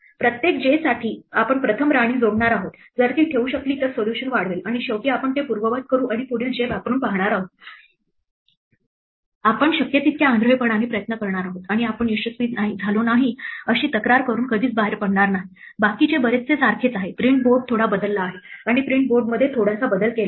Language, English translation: Marathi, For every j we are going to first add the queen, if it manages to place it extend the solution and finally, we are going to undo it and try the next j; we're just going to blindly try every possible j and we are not going to ever come out complaining that we have not succeeded the rest is pretty much the same, the print board has been changed slightly and slight change in the print board is just that we have changed it so that, it will print the entire thing on a single row